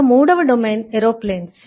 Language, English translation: Telugu, the third domain is aero planes